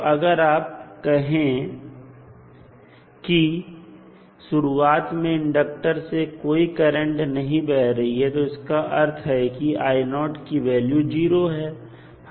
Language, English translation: Hindi, So, if you say that initially the there is no current flowing through the inductor that means I naught equals to 0